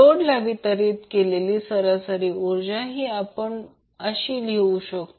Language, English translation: Marathi, What is the average power delivered to the load